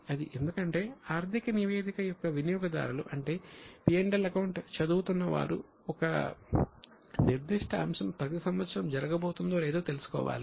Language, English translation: Telugu, Because the users of financial statement, that is those who are reading the P&L, should know whether a particular item is going to happen every year or no